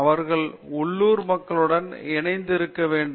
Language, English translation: Tamil, They need to be in association with the local people